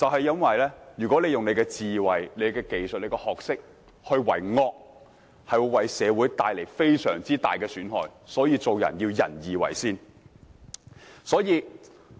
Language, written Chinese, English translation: Cantonese, 因為如果運用智慧、技術和學識為惡，便會為社會帶來非常大的損害，所以做人當以仁義為先。, Because if used for evil deeds wisdom technology and knowledge will do great harms to society . Hence charity of heart and duty towards ones neighbour should take precedence when one conducts oneself